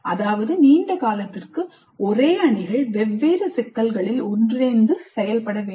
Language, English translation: Tamil, That means for extended periods let the same teams work together on different problems